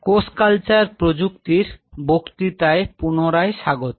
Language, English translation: Bengali, Welcome back to the lecture series in a Cell Culture Technology